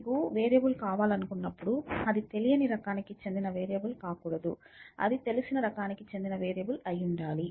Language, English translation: Telugu, So, whenever you want a variable it cannot be a variable of an unknown type, it has be a variable of a known type